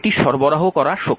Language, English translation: Bengali, So, it is absorbed power